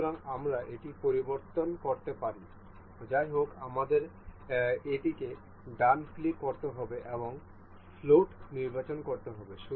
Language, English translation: Bengali, So, we can change this; however, we will have to right click this and select float